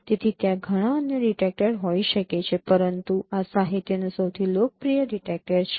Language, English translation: Gujarati, So there could be many other detectors but this is one of the most popular detector in the literature